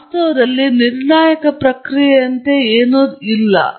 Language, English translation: Kannada, So, in reality, there is nothing like a deterministic process